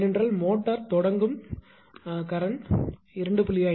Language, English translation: Tamil, Because you know that motor starting current maybe 2